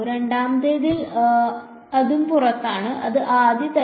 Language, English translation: Malayalam, In the second one it is also outside and it is a first kind